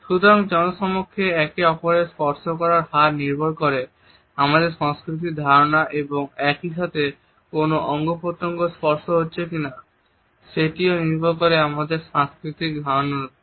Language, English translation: Bengali, So, the amount in frequency of touching each other in public is conditioned by our cultural understanding and at the same time which body part is being touched upon is also decided by our cultural understanding